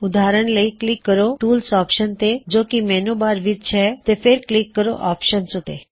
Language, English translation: Punjabi, For example, click on the Tools option in the menu bar and then click on Options